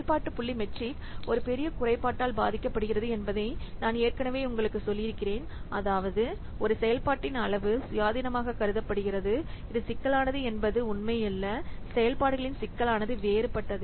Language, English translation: Tamil, So I have already told you that function point matrix suffers from a major drawback, that means the size of a function is considered to be independent of its complexity, which is not true